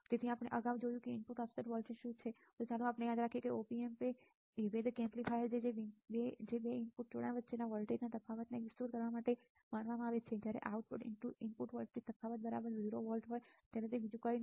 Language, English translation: Gujarati, So, we have seen what is a input offset voltage earlier also let us see remember that Op Amp are differential amplifier as supposed to amplify the difference in voltage between the 2 input connections and nothing more when the output input voltage difference is exactly 0 volts we would ideally except output to be 0 right